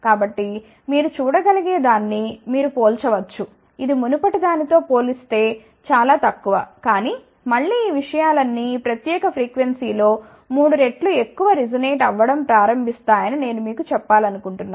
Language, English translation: Telugu, So, you can compare that you can see that this is much below compare to the previous one , but again I want to tell you all these things will start resonating again at around triple of this particular frequency